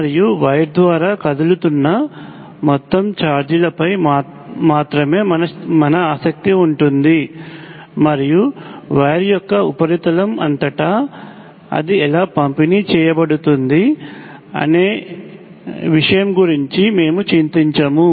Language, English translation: Telugu, And we will concern ourselves with the total charge that is moving through wire and we would not worry about exactly how it is distributed across the surface of the wire